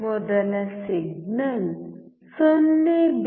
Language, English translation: Kannada, First signal is 0